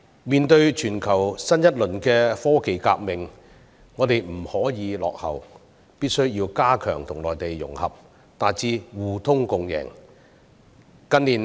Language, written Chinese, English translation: Cantonese, 面對全球新一輪的科技革命，我們不可以落後，必須要加強跟內地融合，達致互通共贏。, We must not lag behind in the latest global technological revolution but ought to strengthen our integration with the Mainland to achieve win - win outcomes